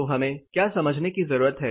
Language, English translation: Hindi, So, what we need to understand